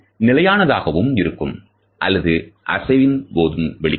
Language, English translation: Tamil, They can also be static or they can be made while in motion